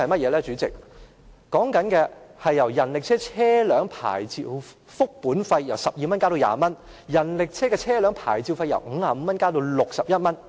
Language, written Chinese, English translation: Cantonese, 根據《修訂規例》，人力車車輛牌照複本費由12元增至20元，人力車的車輛牌照費由50元加到61元。, According to the Amendment Regulation the fee of a duplicate vehicle licence for a rickshaw is increased from 12 to 20 and the fee of a vehicle licence for a rickshaw is increased from 50 to 61